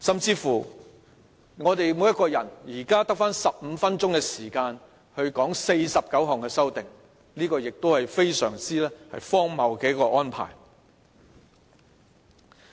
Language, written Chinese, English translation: Cantonese, 此外，我們每一個人現在只得15分鐘就49項修訂發言，這亦是非常荒謬的安排。, Moreover each of us is given only 15 minutes to speak on the 49 amendments . This is really a very absurd arrangement